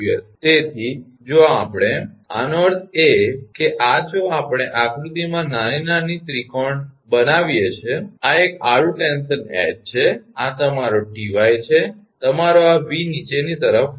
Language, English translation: Gujarati, So, if we; that means, this if we make a triangle here in this figure small figure that this is a horizontal tension H and this is your Ty that your this this V is acting downwards right